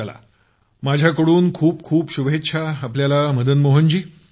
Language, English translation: Marathi, Fine, my best wishes to you Madan Mohan ji